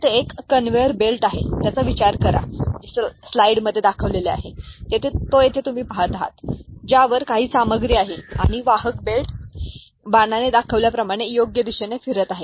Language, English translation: Marathi, Consider there is a conveyer belt, the one that you see here, over which some material is there and the conveyer belt is moving in this direction, right direction as has been shown with the arrow, ok